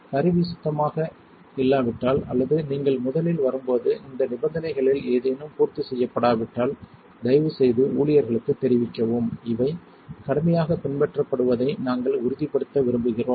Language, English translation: Tamil, If the tool is not clean or any of these conditions are not met when you first arrive please inform staff, we want to make sure these are followed rigorously